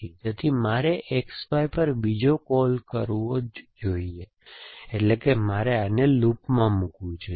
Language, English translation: Gujarati, So, I must make another call to X Y, so which means I must put this into a loop